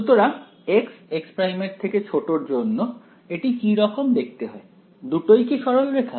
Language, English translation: Bengali, So, for x less than x prime what does that look like, both are straight lines